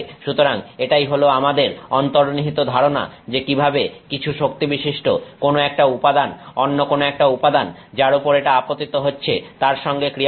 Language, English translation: Bengali, So, that is our intuitive feel for how some material with some energy interacts with another material on which it is incident